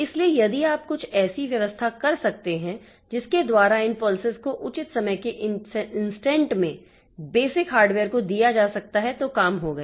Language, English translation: Hindi, So, if you can make some arrangement by which these pulses are given to the basic hardware in at proper time instance, then we are done